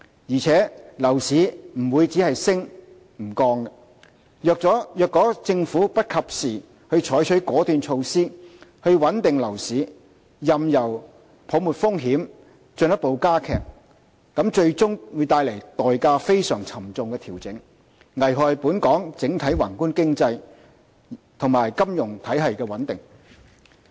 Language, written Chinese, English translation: Cantonese, 而且，樓市不會只升不降，如果政府不及時採取果斷措施穩定樓市，任由泡沫風險進一步加劇，則最終的調整會帶來非常沉重的代價，危害本港整體宏觀經濟及金融體系穩定。, Moreover property prices will not keep going up . If the Government does not take decisive measures now to stabilize the residential property market it will heighten the risks of a bubble and eventually precipitate a very costly adjustment and endanger the overall macroeconomic and financial stability of Hong Kong